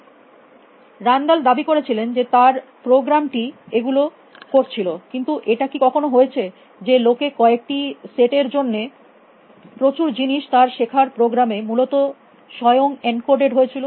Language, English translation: Bengali, So, len it claimed that his program was doing that, but has it often happens, if will discover that the lot of things for set of encoded into his learning program itself essentially